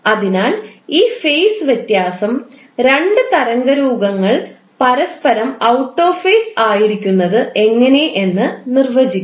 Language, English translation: Malayalam, So this phase difference will define that how two waveforms are out of phase with each other